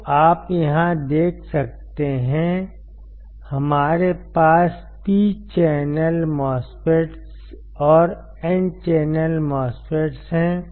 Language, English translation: Hindi, So, you can see here, we have P channel MOSFETs and N channel MOSFET